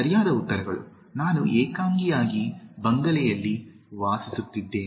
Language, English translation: Kannada, The correct answers, I live alone in the bungalow